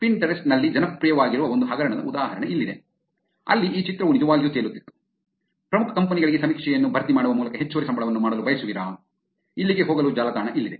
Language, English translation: Kannada, Here is an example of a scam that went popular in Pinterest where this image was actually floating around, ‘want to make an extra salary simply by filling out survey for major companies, here is a website to go to